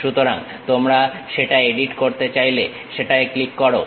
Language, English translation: Bengali, So, you want to really edit that one, click that one